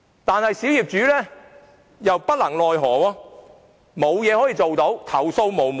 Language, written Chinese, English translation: Cantonese, 可是，小業主又莫奈何，不能做任何事，投訴無門。, However minority owners feel they cannot do anything and their complaints will not be accepted